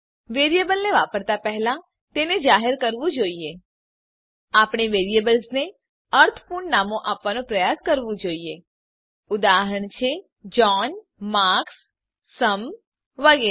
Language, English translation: Gujarati, Before using a variable it must be declared We should try to give meaningful names to variables example john, marks, sum etc